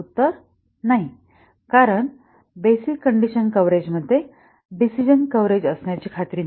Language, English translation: Marathi, The answer is no because the basic condition coverage need not ensure decision coverage